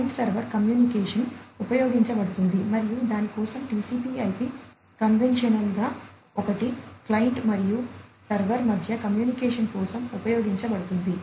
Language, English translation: Telugu, So, client server communication is used and for that a TCP/IP conventional one is used for the communication with between the client and the server